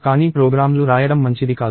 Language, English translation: Telugu, But that is not a good way to write programs